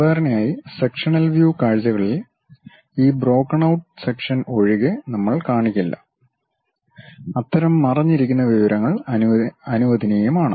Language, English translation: Malayalam, Typically in sectional views, we do not show, except for this broken out sections; in broken our sections, it is allowed to have such kind of hidden information